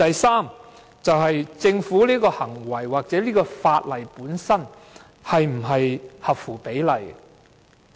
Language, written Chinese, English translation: Cantonese, 此外，政府的這種行為或這項法例本身是否合乎常理？, Furthermore is the act of the Government or this piece of legislation per se sensible?